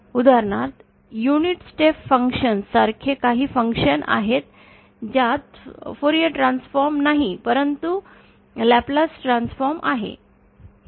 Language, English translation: Marathi, For example there are some functions like the unit step functions which does not have Fourier transform but has a Laplace transform